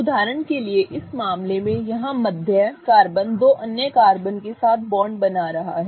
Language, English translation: Hindi, The carbon next to it is forming bonds with two other carbons